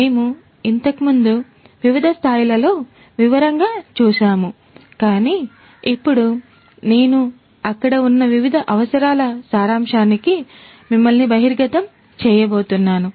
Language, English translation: Telugu, We have looked at it in different levels of detail earlier, but now I am going to expose you to the summary of the different requirements that are there